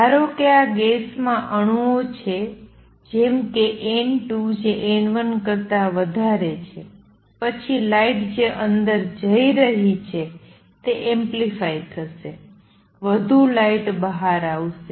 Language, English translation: Gujarati, Consider the possibility however, that this gas has atoms such that N 2 is greater than N 1 then light which is going in will get amplified; more light will come out